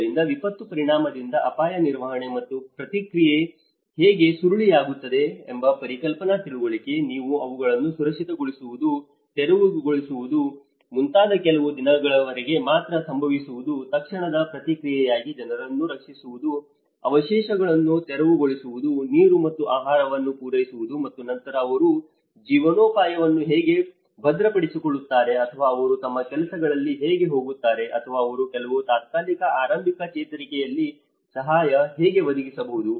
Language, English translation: Kannada, So, a framework have been understood a conceptual understanding how a disaster risk management and response spiral from the impact, you have the relief which happens only for a few days like providing you know securing them, clearing the debris and water, food you know for the immediate, as immediate response and then gradually how they secure the livelihoods or how they get on to their works or how they can provide some temporary early recovery in transition